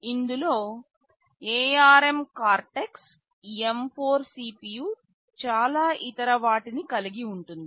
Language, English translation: Telugu, This contains ARM Cortex M4 CPU with lot of other things